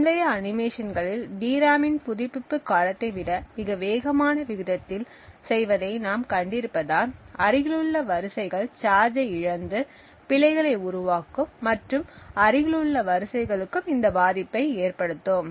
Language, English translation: Tamil, Now as we have seen in the previous animations doing so within at a rate much faster than the refresh period of the DRAM would cause the adjacent rows to lose charge and induce errors and falls in the adjacent rows